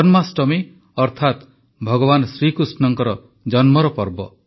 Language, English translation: Odia, This festival of Janmashtami, that is the festival of birth of Bhagwan Shri Krishna